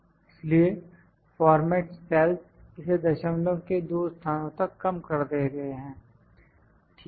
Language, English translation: Hindi, So, format cells reduce it to the two places of decimal done, ok